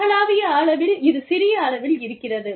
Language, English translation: Tamil, In global, it is little bit of scope